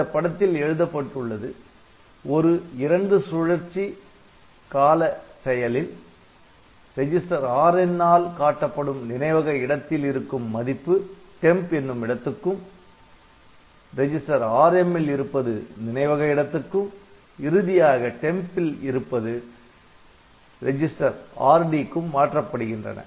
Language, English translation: Tamil, So, we can in a two cycle operation content of memory location pointed to by register Rn is copied into temporary space then the register Rm is copied onto the memory location and finally, content of temporary space is copied onto register Rd